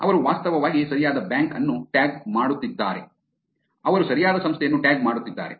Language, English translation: Kannada, They are actually tagging the right bank; they are tagging the right organization